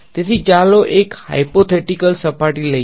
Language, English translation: Gujarati, So, let us take a hypothetical surface